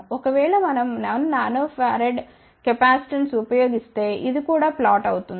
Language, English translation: Telugu, If, we use 1 Nano farad capacitance, then this will become flatter also